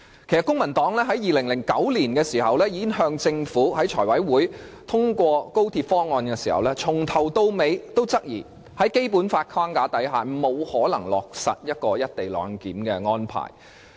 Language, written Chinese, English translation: Cantonese, 公民黨早於2009年財務委員會通過政府的高鐵方案時，由始至終也質疑在《基本法》的框架下，沒有可能落實"一地兩檢"的安排。, When the Finance Committee endorsed the Governments Express Rail Link proposal in as early as 2009 the Civic Party had all along queried the viability of the co - location arrangement under the framework of the Basic Law